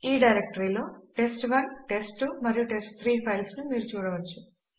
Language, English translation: Telugu, As you can see test1,test2 and test3 are present in this directory